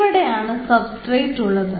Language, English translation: Malayalam, so here you have the substrate